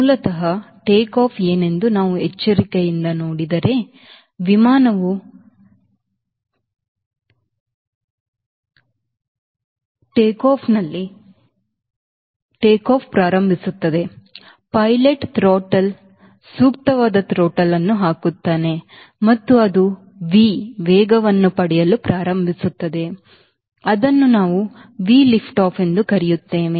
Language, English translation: Kannada, if we carefully see what is basically a takeoff, the air frame starts warming up on the tarmac, the pilot could the truckle appropriate truckle and you stats gaining speed at a speed which we call v lift off